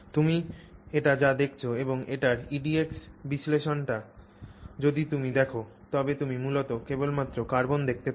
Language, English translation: Bengali, So, so this is what you what you see and if you look at say the EDACs analysis of it you basically only see carbon